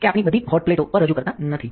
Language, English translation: Gujarati, So, that we do not represent all over hot hot plates